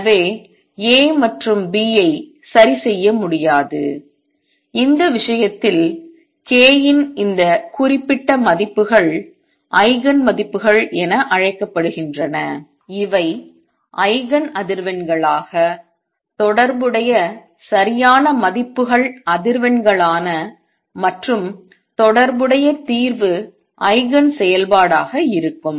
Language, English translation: Tamil, So A and B cannot be fixed and this case these particular values of k are known as Eigen values these are the proper values the corresponding frequencies as Eigen frequencies and the corresponding solution as Eigen function